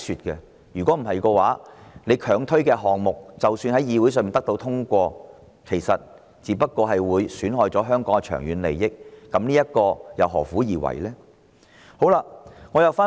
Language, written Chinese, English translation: Cantonese, 不然，政府強推的項目雖然獲議會通過，卻損害了香港的長遠利益，何苦而為呢？, Otherwise projects forcibly promoted by the Government will be passed by the Council at the expense of the long - term interest of Hong Kong . What is the point in doing so?